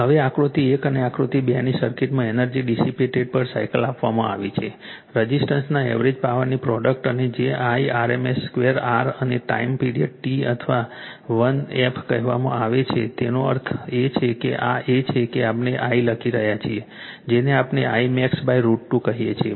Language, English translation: Gujarati, Now, now the energy dissipated per cycle in the circuit of figure 1 and figure 2 is given by the product of the average power of the resistor and a your what you call that is your Irms square r and the period T or 1 f; that means, that means this is we are writing I your what we call I max by root 2